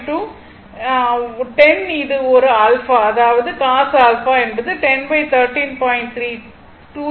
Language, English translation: Tamil, 9 degree, because if cos alpha is equal to 10 by 13